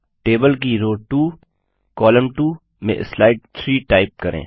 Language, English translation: Hindi, In row 2 column 2 of the table, type slide 3